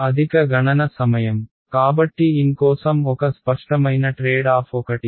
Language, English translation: Telugu, Higher computational time so that is one that is one obvious trade off for n